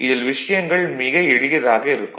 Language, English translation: Tamil, So, things are quite simple, things are quite simple